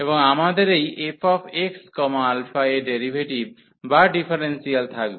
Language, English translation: Bengali, And we will have the derivative or the differential of this f x alpha